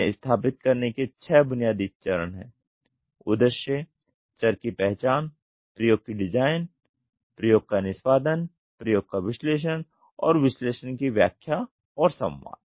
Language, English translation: Hindi, There are six basic steps for the same establish; the purpose, identify the variables, design the experiment, execute the experiment, analyse the experiment, and interpret and communicate the analysis